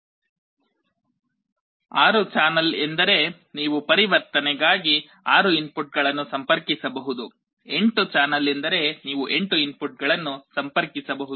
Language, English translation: Kannada, 6 channel means you could connect 6 inputs for conversion; 8 channel means you could connect 8 inputs